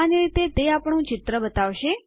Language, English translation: Gujarati, Basically, that will let us show our image there